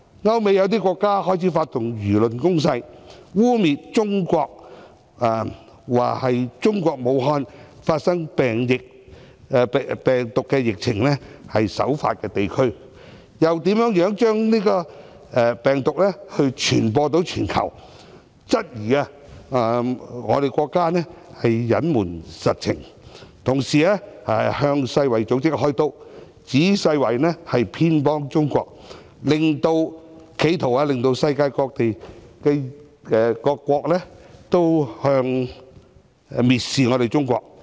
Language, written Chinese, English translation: Cantonese, 歐美有些國家開始發動輿論攻勢，污衊中國，指是次病毒疫情的首發地區是中國武漢，又如何將是次病毒傳播全球，質疑中國隱瞞實情，同時向世界衞生組織"開刀"，指世衞偏袒中國，企圖令世界各國蔑視中國。, Some European countries and the United States have started to attack and smear China through their media alleging that the epidemic originated in Wuhan China and describing how the virus spread to countries all over the world . These countries question whether China has withheld the facts and criticize the World Health Organization for siding with China . The purpose is to generate contempt of China in the international world